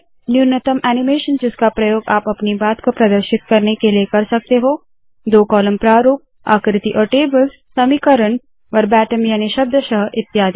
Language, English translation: Hindi, Minimal animation that you can use to present your talk, two column format, figures and tables, equations, verbatim and so on